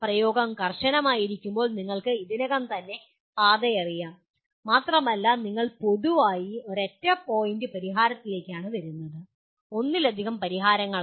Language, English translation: Malayalam, Whereas apply is strictly you already the path is known and you generally come to a single point solution, not multiple solution